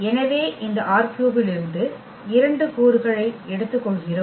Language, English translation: Tamil, So, we take 2 elements from this R 3